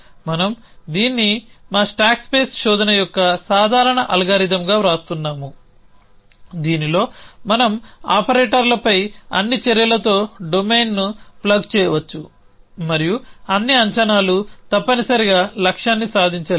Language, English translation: Telugu, We are writing this as a generic algorithm of a our stack space search in which we can plug in the domain with all it set of action on a operators and all the predicate it is not goal riven essentially